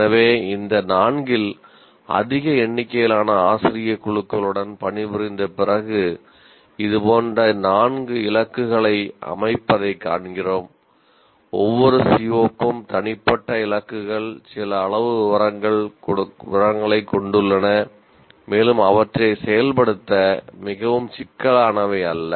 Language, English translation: Tamil, So, among these four, we find after working with large number of routes of faculty, this example four, setting targets like this, individual targets for each CBO, has some amount of detail, we will presently give you that, and not too complicated to implement